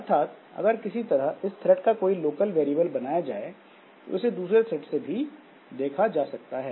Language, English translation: Hindi, So, that way if there is some local variable of this thread that is created, so this is visible to other threads also